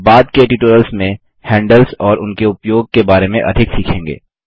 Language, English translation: Hindi, You will learn more about handles and their use in the later tutorials